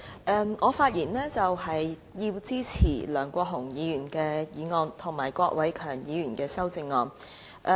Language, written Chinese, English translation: Cantonese, 主席，我發言支持梁國雄議員的議案，以及郭偉强議員的修正案。, President I speak in support of Mr LEUNG Kwok - hungs motion and Mr KWOK Wai - keungs amendment